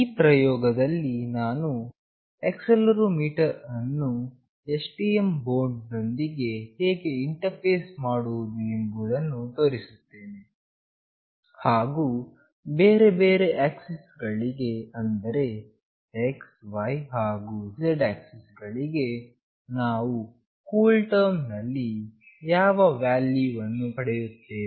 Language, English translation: Kannada, In this experiment, I will be showing how we can interface accelerometer with STM board, and what value we will get for the different axis like x, y and z axis in CoolTerm